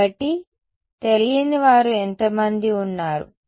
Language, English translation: Telugu, So, how many unknowns are there